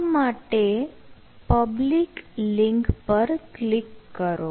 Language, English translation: Gujarati, so just click the public link